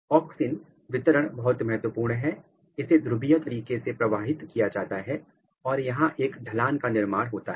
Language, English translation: Hindi, The auxin distribution is very important, it is being transported in the polar manner and there is a formation of gradient